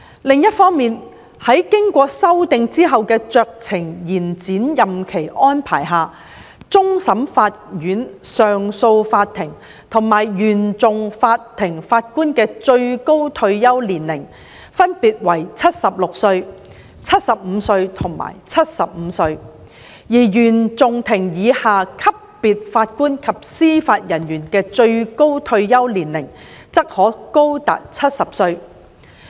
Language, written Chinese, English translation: Cantonese, 另一方面，在經修訂後的酌情延展任期安排下，終審法院、上訴法庭及原訟法庭法官的最高退休年齡分別為76歲、75歲及75歲，而原訟法庭以下級別法官及司法人員的最高退休年齡則可高達70歲。, Besides under the amended discretionary extension arrangements the maximum retirement age for Judges of the Court of Final Appeal the Court of Appeal and CFI may be up to 76 75 and 75 respectively and that of JJOs below the CFI level may be up to 70